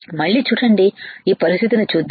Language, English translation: Telugu, See again let us see this condition